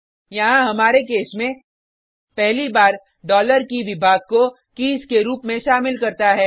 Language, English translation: Hindi, Here in our case, 1st time dollar key ($key) contains the Department as key